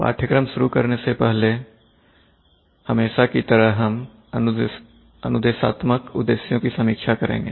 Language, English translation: Hindi, So as usual before starting the course, we will review the instructional objectives